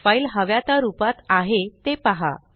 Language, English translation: Marathi, See that the file is in the form we want